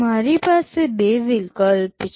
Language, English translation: Gujarati, I have two alternatives